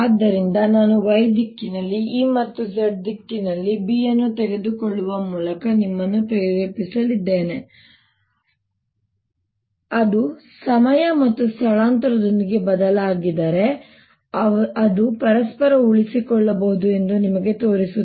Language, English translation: Kannada, so i am going to motivate you by taking e in the y direction and b in the z direction and show you that if they vary with time and space, they can sustain each other